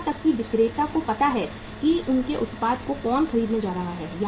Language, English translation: Hindi, Even the seller knows who is going to buy their product